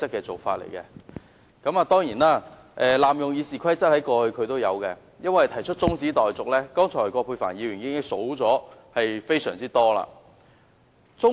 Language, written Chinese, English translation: Cantonese, 他過去亦曾濫用《議事規則》，提出中止待續議案，葛珮帆議員剛才已列出非常多例子。, He has abused RoP in the past by moving adjournment motions of which Dr Elizabeth QUAT has cited many examples just now